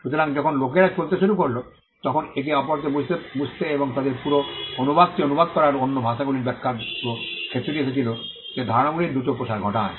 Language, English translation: Bengali, So, when people started moving that also contributed to them understanding each other and the entire the entire field of translation or interpreting other languages came up which also led to the quick spread of ideas